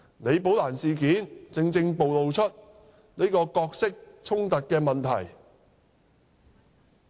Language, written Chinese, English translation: Cantonese, 李寶蘭事件正正暴露角色衝突的問題。, The incident of Rebecca LI has precisely exposed the problem of conflict of interest